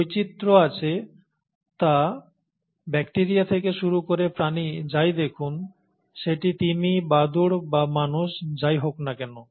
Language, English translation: Bengali, So, there is diversity, starting all the way from bacteria to what you see among animals, whether it is the whales, the bats, or the human beings